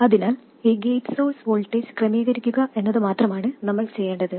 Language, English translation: Malayalam, So, what we need to do is to adjust this gate source voltage